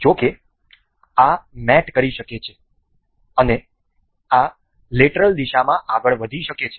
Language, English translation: Gujarati, However, this can mate this can move in the lateral direction